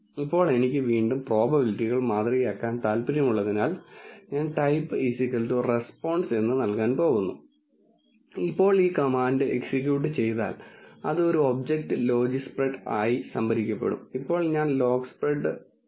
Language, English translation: Malayalam, Now, since I want to again model the probabilities, I am going to give type equal to response, now once this command is executed it gets stored as an object logispred and now I will plot the logispred